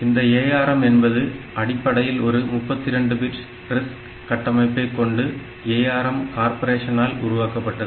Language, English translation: Tamil, So, this ARM is a originally proposed to be a 32 bit RISC architecture, is developed by ARM corporation